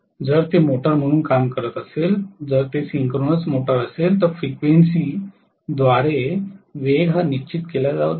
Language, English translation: Marathi, If it is working as a motor, if it is a synchronous motor, the speed is decided by the frequency